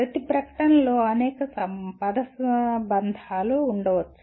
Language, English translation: Telugu, Each statement can have several phrases in that